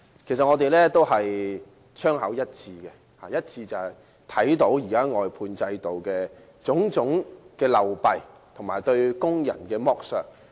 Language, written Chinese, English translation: Cantonese, 其實我們的槍口一致，我們均看到現時外判制度的種種流弊和對工人的剝削。, Actually we are singing the same tune as we can all see the various problems with the existing outsourcing system and the exploitation of workers